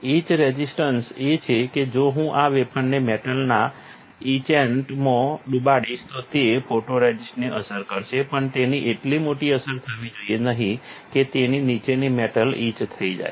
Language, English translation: Gujarati, Etch resistance is that if I dip this wafer in a metal etchant, then it will affect photoresist but it should not affect that greatly that the metal below it will get etched